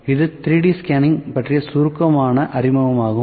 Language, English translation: Tamil, So, this was a brief introduction about 3D scanning